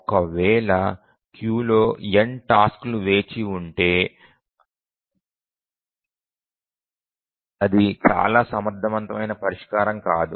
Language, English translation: Telugu, If there are n tasks waiting in the queue, not a very efficient solution